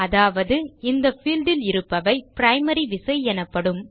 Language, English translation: Tamil, In other words this field is also called the Primary Key